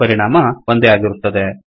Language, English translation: Kannada, The effect is the same